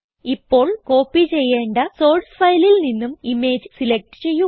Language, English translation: Malayalam, Now select the image from the source file which is to be copied